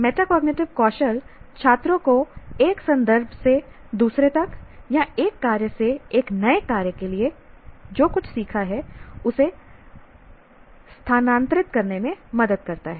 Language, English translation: Hindi, Metacognitive skills help students to transfer what they have learned from one context to the next or from one task to a new task